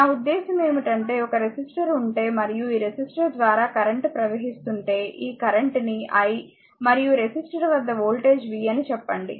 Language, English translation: Telugu, I mean if you have a resistor and current is flowing through this resistor say this current is i and across the resistor is voltage is v